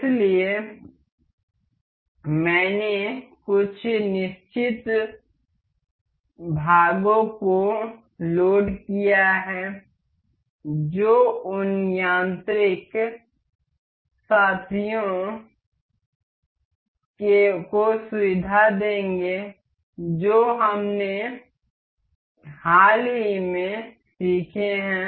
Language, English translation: Hindi, So, I have loaded this certain parts that would feature the the mechanical mates that we have recently learnt